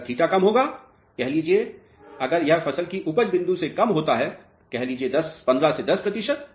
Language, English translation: Hindi, If theta drops let us say below the yield point of the crop let us say 15 to 10 percent if it drops